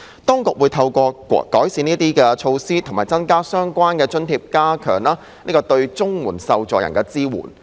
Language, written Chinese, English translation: Cantonese, 當局會透過改善這些措施和增加相關津貼，以加強對綜援受助人的支援。, The Administration would improve the related measures to increase supplements and special grants with a view to strengthening the support for CSSA recipients